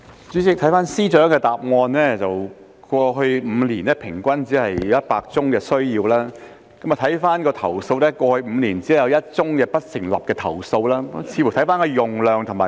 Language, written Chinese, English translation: Cantonese, 主席，根據司長的答覆，過去5年平均每年只有約100宗司法程序需要使用手語傳譯服務，而過去5年只有1宗不成立的投訴。, President according to the Chief Secretarys reply over the past five years the number of proceedings requiring sign language interpretation services was about 100 cases per annum on average and there was only one unsubstantiated complaint over the past five years